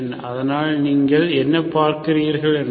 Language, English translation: Tamil, So that is what you see